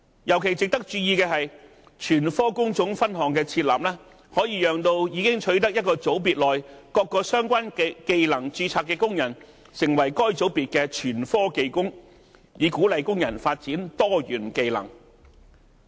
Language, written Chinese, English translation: Cantonese, 尤其值得注意的是，全科工種分項的設立，可以讓已經取得一個組別內各個相關技能註冊的工人，成為該組別的全科技工，以鼓勵工人發展多元技能。, It should be noted in particular that the creation of trade division master allows workers possessing registrations for a group of trade divisions to register as master skilled worker of that particular group so as to encourage multi - skill development of workers